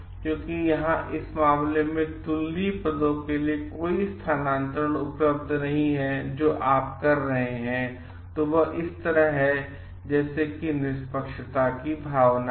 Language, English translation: Hindi, Because here in this case no transfers to comparable positions are available then what you do is like following this is a like a sense of fairness